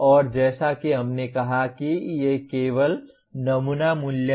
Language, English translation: Hindi, And as we said these are only sample values